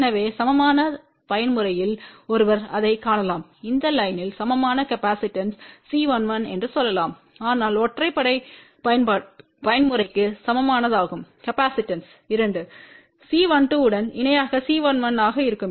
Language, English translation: Tamil, So, one can see that in case of the even mode the equivalent capacitance of this line will be let us say C 1 1 , but for odd mode equivalent capacitance will be C 1 1 in parallel with 2 C 1 2